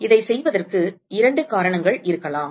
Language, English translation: Tamil, So, there could be two reasons for doing this